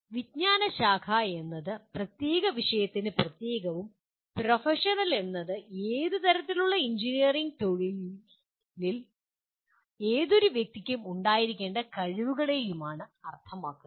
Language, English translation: Malayalam, Disciplinary would mean specific to the particular subject and professional would mean the kind of competencies any person should have in any kind of engineering profession